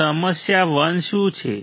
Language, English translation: Gujarati, So, what is the problem 1